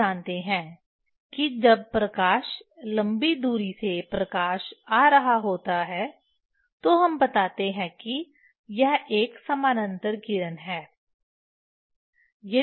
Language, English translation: Hindi, you know is when light is coming from long distance the light coming towards that we tell that it is a parallel rays